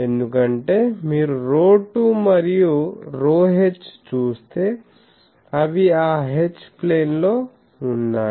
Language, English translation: Telugu, Because, if you see rho 2 and rho h means if I get those H plane these are in